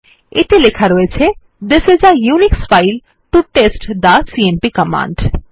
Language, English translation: Bengali, It will contain the text This is a Unix file to test the cmp command